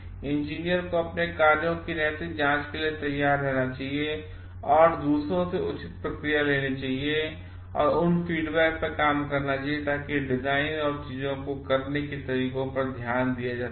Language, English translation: Hindi, Engineer should be ready to submit their actions to moral scrutiny and take a proper feedback from others and work on those feedbacks to have a relook into the design and ways of doing things